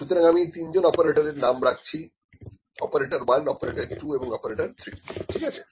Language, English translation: Bengali, So, I have to name the three operators operator 1, operator 2, operator 3, ok